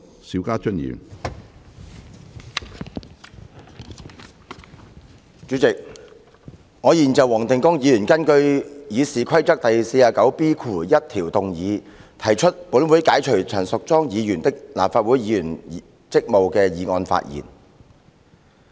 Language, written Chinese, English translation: Cantonese, 主席，我現就黃定光議員根據《議事規則》第 49B1 條動議本會解除陳淑莊議員的立法會議員職務的議案發言。, President now I speak on the motion moved by Mr WONG Ting - kwong under Rule 49B1 of the Rules of Procedure to relieve Ms Tanya CHAN of her duties as a Member of the Legislative Council